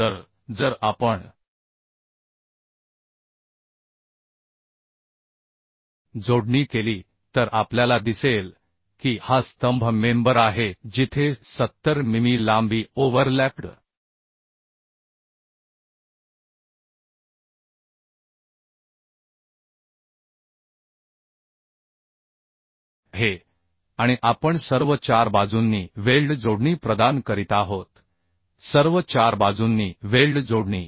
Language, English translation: Marathi, So if we do the connection we will see say this is the column member where 70 mm length is overlapped and we are providing weld connection in in all four sides right weld connections in all four sides